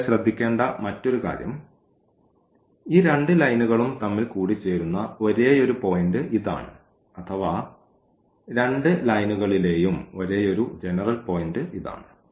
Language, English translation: Malayalam, And, the other point here to be noticed that this is the only point, this is the only point where these 2 lines intersect or this is the only common point on both the lines